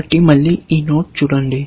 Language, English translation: Telugu, So, again, look at this node